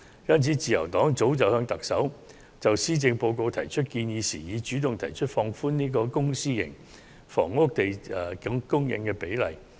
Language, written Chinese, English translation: Cantonese, 因此，自由黨就施政報告向特首提出建議時，早已主動提出放寬公私營房屋供應的比例。, Hence when putting forward our proposals concerning the Policy Address to the Chief Executive the Liberal Party has already suggested relaxing the public - to - private housing ratio